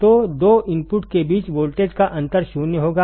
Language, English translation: Hindi, So, the voltage difference between the two inputs would be zero, would be zero